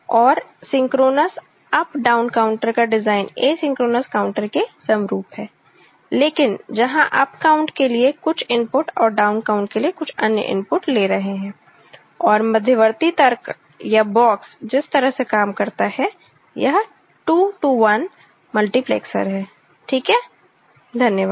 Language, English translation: Hindi, And, design of synchronous up down counter is analogues to asynchronous counter, but where we are feeding for up count certain input and for down counts certain other input, and the intermediate logic or the box is 2 to 1 multiplexer, the way it works ok